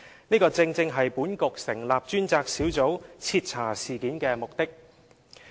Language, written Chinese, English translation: Cantonese, 這正是本局成立專責小組徹查事件的目的。, This is the precise reason for this Bureau to set up the Task Force for a thorough investigation into the incident